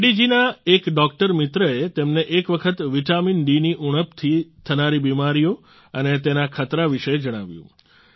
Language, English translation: Gujarati, A doctor friend of Reddy ji once told him about the diseases caused by deficiency of vitamin D and the dangers thereof